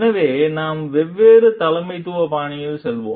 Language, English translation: Tamil, So, we will move to the different leadership styles